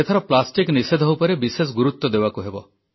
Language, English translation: Odia, This time our emphasis must be on plastic